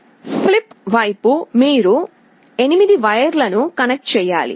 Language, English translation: Telugu, On the flip side you have to connect 8 wires